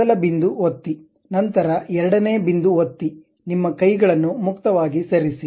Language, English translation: Kannada, Click first point, then click second point, freely move your hands